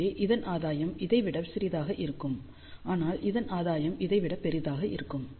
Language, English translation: Tamil, So, gain of this will be smaller than this, but gain of this will be larger than this ok